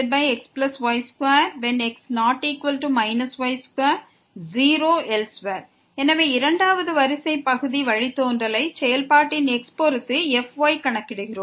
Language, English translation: Tamil, So, we compute the second order partial derivative with respect to of the function